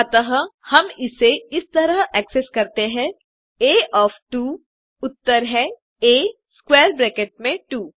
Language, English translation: Hindi, Hence, we access it as A of 2,answer is A in square bracket 2